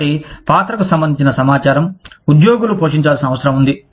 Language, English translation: Telugu, So, the information regarding the role, that employees are needs to play